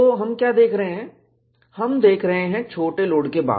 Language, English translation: Hindi, So, what we are looking at is, we are looking at, after the smaller load